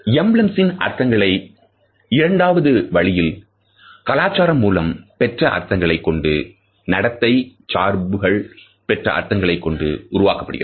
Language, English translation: Tamil, The second way in which meaning of an emblem is constructed is through culturally learnt meanings and behavioral associations